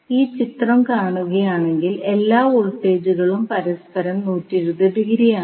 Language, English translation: Malayalam, So, if you see this particular figure, all our voltages are 120 degree from each other